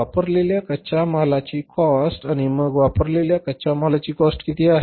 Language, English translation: Marathi, Cost of raw material consumed and how much is the cost of raw material consumed